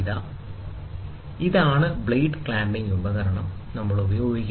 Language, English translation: Malayalam, And then, this is the blade clamping device, what we use